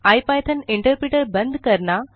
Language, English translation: Hindi, quit the ipython interpreter